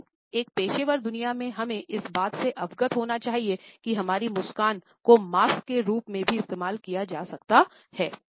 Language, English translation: Hindi, But at the same time in the professional world we have to be aware that our smile can also be used as a mask